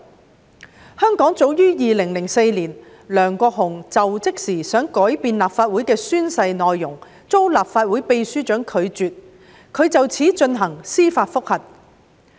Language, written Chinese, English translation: Cantonese, 在香港，早於2004年，梁國雄在就職時曾想改變立法會的宣誓內容，並在遭受立法會秘書長拒絕後提出司法覆核。, In Hong Kong as early as 2004 Mr LEUNG Kwok - hung wished to alter the content of the Legislative Council oath when assuming office and he filed a case for judicial review after his request had been rejected by the Secretary General of the Legislative Council Secretariat